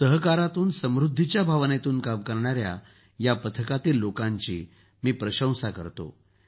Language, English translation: Marathi, I appreciate this team working with the spirit of 'prosperity through cooperation'